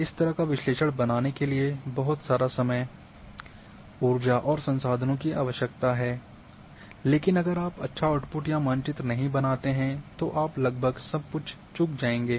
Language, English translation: Hindi, A lot of time,energy and resources are needed to create that kind of analysis, but if you do not make nice output or maps you have missed everything almost